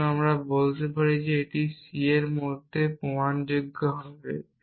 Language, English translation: Bengali, So, we can say yes c is provable in to